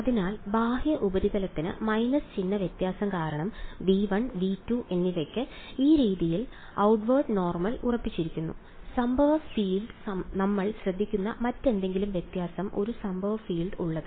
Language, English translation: Malayalam, So, for the outward the surface the outward normal being fixed this way for V 1 and V 2 because of minus sign difference; any other difference that we notice the incident field there is a incident field only in